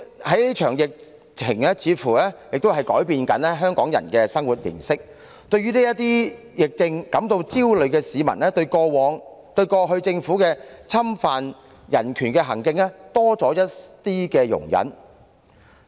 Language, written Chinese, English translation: Cantonese, 這場疫情似乎亦正在改變香港人的生活形式，對疫症感到焦慮的市民，對於政府過去侵犯人權的行徑多了一絲容忍。, It seems that this epidemic outbreak has changed the lifestyle of Hong Kong people and due to their anxiety about the epidemic situation they have become a little bit more tolerant towards previous acts of human rights infringement by the Government